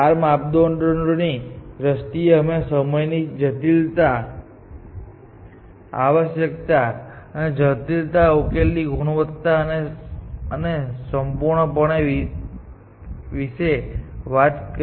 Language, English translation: Gujarati, In terms of the four parameters, we talked about time complexity, space complexity, quality of solution and completeness